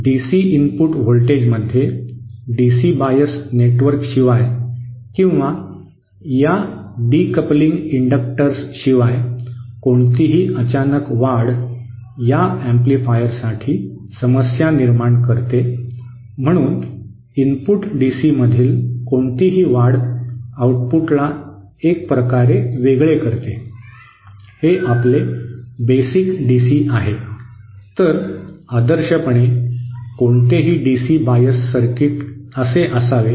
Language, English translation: Marathi, Any surge in the DC input voltage without a DC bias network or without this decoupling inductor will create problems for this amplifier, so it also kind of isolates any surge in the input DC to the output so how do, so this is our basic DC, so ideally any DC biased circuit should be like this